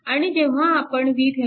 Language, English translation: Marathi, So, this is your V Thevenin